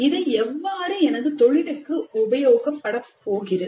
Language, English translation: Tamil, How is it relevant to my profession